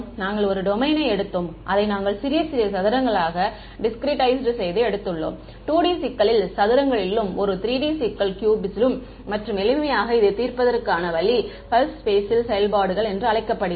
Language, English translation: Tamil, We took a domain and we discretized it into little little squares, in a 2D problems squares, in a 3D problem cubes right and the simplest way to solve this was using what is called a pulse basis function